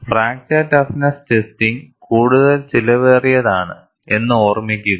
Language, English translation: Malayalam, If you come to fracture toughness testing is much more expensive